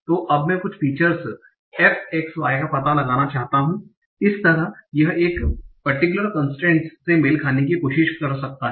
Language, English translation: Hindi, So now I want to find out some feature fxy such that it can try to match this particular constraint